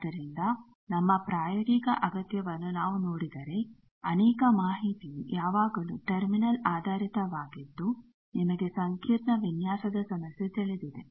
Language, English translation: Kannada, So, many information if we look at our practical need is always terminal based you know a complex design problem